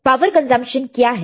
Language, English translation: Hindi, What is the power consumption